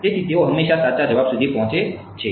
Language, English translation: Gujarati, So, they always reach the correct answer